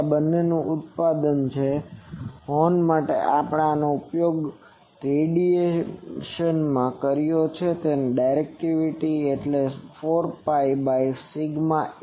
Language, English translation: Gujarati, So, this is product of these two actually for horn we have used this into radian, so what is directivity 4 pi by sigma A